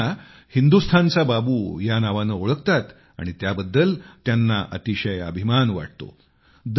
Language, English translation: Marathi, But he also has another identity people call him Hindustani's Babu, and, he takes great pride in being called so